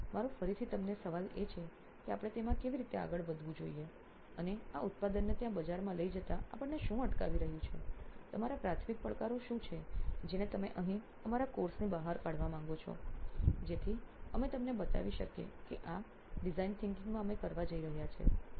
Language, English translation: Gujarati, So my question to you again is that how shall we move forward in that and what is stopping us from taking this product out there into the market, what are your primary challenges that you want to address out of our course here, so that we can show them that this is what we are going to do in design thinking